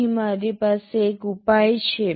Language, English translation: Gujarati, Here I have a solution